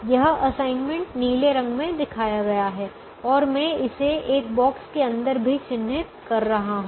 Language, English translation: Hindi, this assignment is shown in the blue color and i am also marking it inside a box